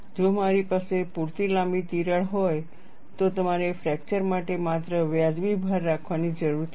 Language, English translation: Gujarati, If I have a long enough crack, you need to have only a reasonable load to fracture